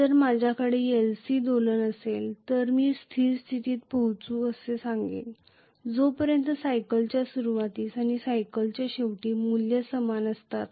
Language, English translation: Marathi, So if I have an LC oscillation I would say reach steady state very clearly, as long as in the beginning of the cycle and end of cycle the values are the same